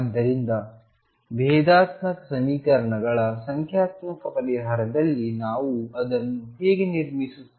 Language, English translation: Kannada, So, in numerical solution of differential equations we actually construct the solution how do we do that